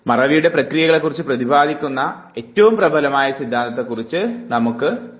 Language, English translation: Malayalam, Let us talk about the dominant theory which tries to explain the process of forgetting